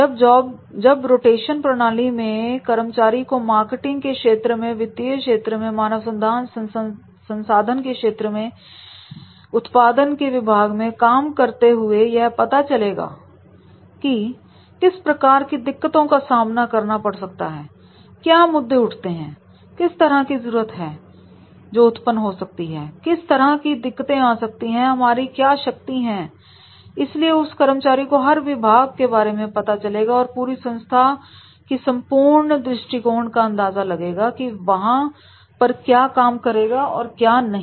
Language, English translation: Hindi, In the job rotation method, he will work in a marketing area, work in the finance area, work into the HR, work into the production in shop floor also and therefore he will understand that is the what type of the problems are there, what type of issues are there, what type of requirements are there, what type of hurdles are there, what type of strains are there so that he will get the knowledge about the all the departments and sections of the organization and then the overall picture of the organization will be clear that what will work here and what will not